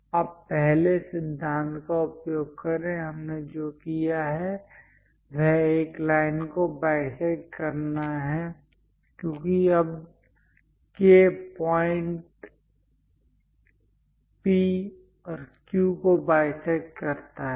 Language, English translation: Hindi, Now, use the first principle; what we have done, how to bisect a line because now K point bisects P and Q